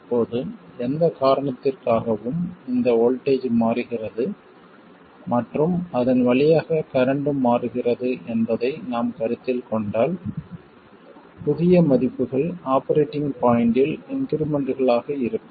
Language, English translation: Tamil, Now, if we consider the case where, because of whatever reason the voltage across this changes and the current through it also changes then we can represent the new values to be increments over the operating point okay so ID and VD are increments over the operating point